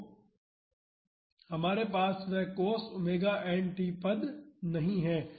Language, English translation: Hindi, So, we do not have that cos omega n t term